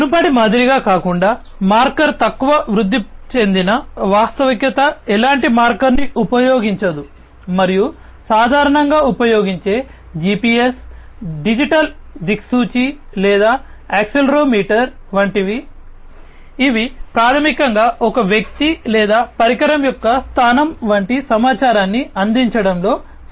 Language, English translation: Telugu, The marker less augmented reality unlike the previous one does not use any kind of marker and these commonly used things like GPS, digital compass or accelerometer, which basically help in offering information such as the location of a person or a device